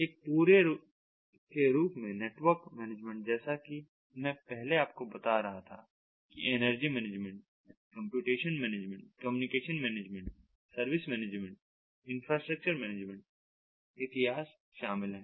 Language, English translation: Hindi, network management as a whole, as i was tell in earlier, involving ah, you know, energy management, involving computation management, involving communication management, involving service management and infrastructure management and so on